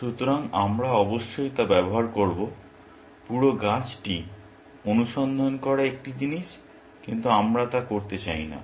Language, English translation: Bengali, So, we will use, of course, one thing is to search the entire tree, but we do not want to do that